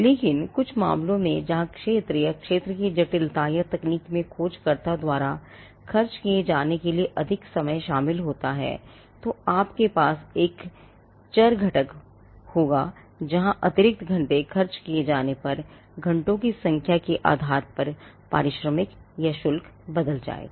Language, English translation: Hindi, But in some cases where they could be the field or the complexity of the field or the technology involves more time to be expended by the searcher, then you would have a variable component where depending on the number of hours, extra hours that is being spent the the remuneration or the fees would change